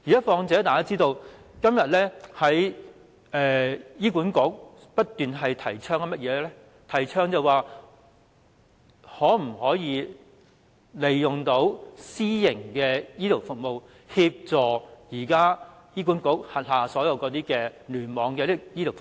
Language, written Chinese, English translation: Cantonese, 況且，大家也知道，醫院管理局現正不斷提倡可否利用私營醫療服務來協助現時醫管局聯網的醫療服務？, As we all know the Hospital Authority is eager to promote the use of private health care services to supplement the health care services of its hospital clusters